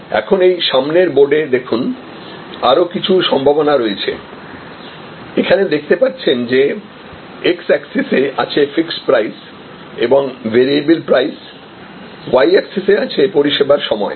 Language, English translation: Bengali, Now, on this, on the board you have another set of possibilities, as you can see here we have fixed price and variable price on the x axis, on the y axis we have the duration of the service